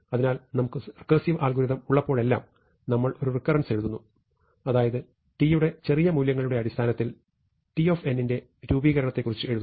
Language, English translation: Malayalam, So, whenever we have a recursively algorithm we write a recurrence; that is, we write of formulation of t of n in terms of smaller values of t